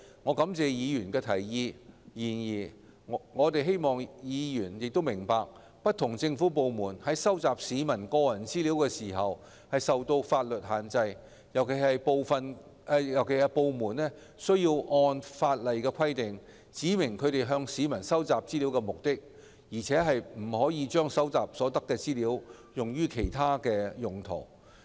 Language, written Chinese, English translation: Cantonese, 我感謝議員的提議；然而，我希望議員明白，不同政府部門收集市民個人資料時均受法律限制，尤其是部門須按法例規定，指明其向市民收集資料的目的，而且不得把收集所得的資料用於其他用途。, I appreciate Members for their proposal; however I hope Members will understand that government departments are subject to legal restrictions when collecting personal data of members of the public . Particularly government departments should specify to the public the purpose of collecting the data concerned in accordance with the law and may not use the data collected for other purposes